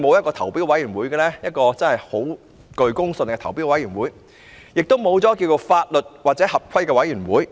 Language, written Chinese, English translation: Cantonese, 為何現時會沒有具公信力的投標委員會，亦沒有法律或合規委員會呢？, Why is there not a credible tender committee or a legalcompliance committee at present?